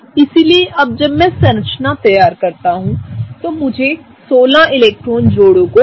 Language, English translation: Hindi, So, now when I draw the structure, I have to fill in 16 electron pairs into the molecule